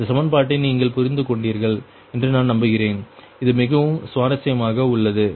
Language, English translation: Tamil, i hope this equation you have understood this very interesting, right